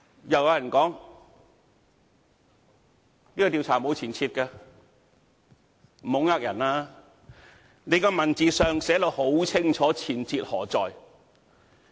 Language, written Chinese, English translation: Cantonese, 亦有人說，這個調查沒有前設，不要欺騙人了，文字上已清楚寫出前設何在。, Some people also said that was no presupposition as far as the investigation was concerned . Please do not try to spoof as it was already written in the text of the motion